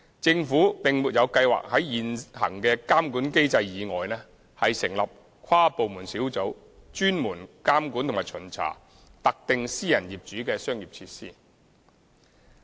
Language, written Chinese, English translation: Cantonese, 政府並沒有計劃在現行的監管機制以外，成立跨部門小組專門監管及巡查特定私人業主的商業設施。, Apart from the existing regulatory mechanism the Government has no plan to set up an inter - departmental taskforce to monitor and inspect commercial facilities of any particular private property owner